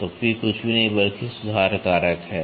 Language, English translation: Hindi, So, the P is nothing, but the correction factor